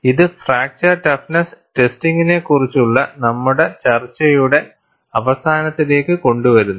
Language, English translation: Malayalam, And this brings to a close of our discussion on fracture toughness testing